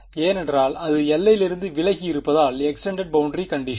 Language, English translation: Tamil, Because it is away from the boundary so extended boundary condition method